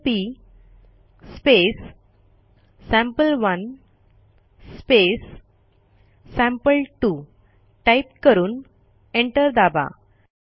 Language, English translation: Marathi, We will write cmp sample1 sample2 and press enter